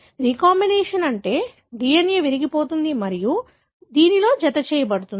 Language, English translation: Telugu, Recombination meaning the DNA will be broken and will be joined with this